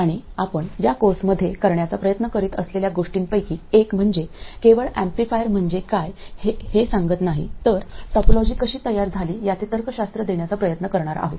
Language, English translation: Marathi, We will see these things later in the course and one of the things that we try to do in this course is not only tell you that something is an amplifier but try to give you the logic of how the topology came about